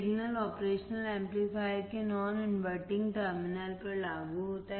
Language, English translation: Hindi, The signal is applied to the non inverting terminal of the operation amplifier